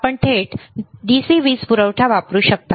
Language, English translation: Marathi, You can directly use DC power supply